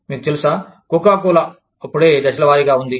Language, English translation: Telugu, You know, Coca Cola had just been, phased out